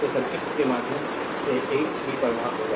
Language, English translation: Hindi, So, same current will flow through the circuit